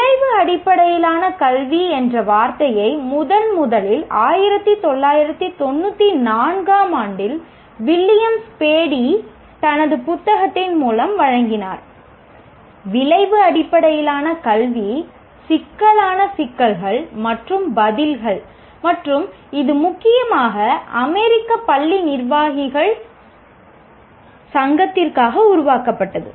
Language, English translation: Tamil, And the term outcome based education was first presented by Williams Paddy in 1994 through his book, Outcome Based Education, Critical Issues and Answers, and it was mainly meant for the, it was created for American Association of School Administrators